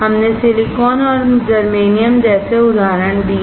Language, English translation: Hindi, We gave examples such as Silicon and Germanium